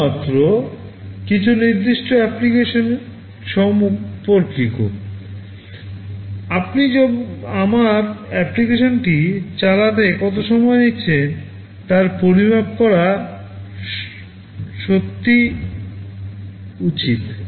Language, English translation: Bengali, Only with respect to some specific application, you should be able to measure how much time it is taking to run my application